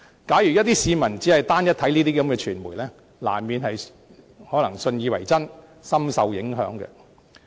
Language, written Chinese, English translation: Cantonese, 假如一些市民只單一地閱覽這些傳媒的報道，難免信以為真，深受影響。, Anyone who solely reads the news reports published by such media will inevitably take them as Gospel truth and be deeply affected